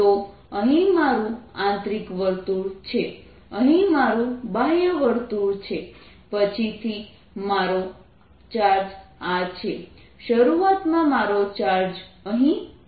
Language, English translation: Gujarati, so here is my inner circle, here is my outer circle, here is my charge later, here is my charge initially